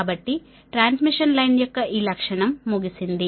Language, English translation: Telugu, so this characteristic of transmission line, this thing is over